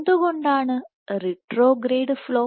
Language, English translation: Malayalam, Why retrograde flow